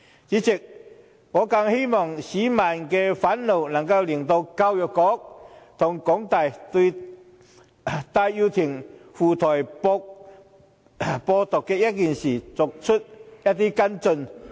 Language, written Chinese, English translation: Cantonese, 主席，我更希望市民的憤怒能令教育局和香港大學對戴耀廷赴台"播獨"一事作出跟進。, President I hope all the more that the public rage can make the Education Bureau and the University of Hong Kong HKU follow up on the matter in which Benny TAI went to Taiwan to spread Hong Kong independence